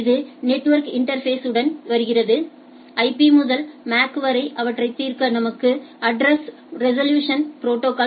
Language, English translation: Tamil, It comes with the network interface and in order to resolve these from IP to MAC we require a address resolution protocol